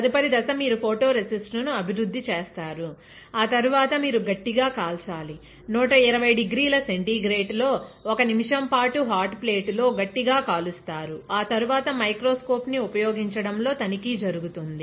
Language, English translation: Telugu, Next step is you develop photoresist, after that you hard bake; hard bake is done at 120 degree Centigrade 1 minute on hot plate followed by inspection, inspection is done in using microscope, right